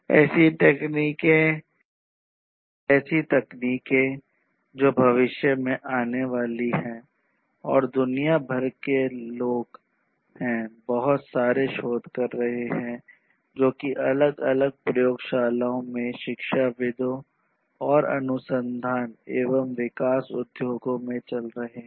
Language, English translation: Hindi, Technologies that are going to come in the future and people you know worldwide there are lot of research words that are going on in different labs in the academia and in the industries R & D industries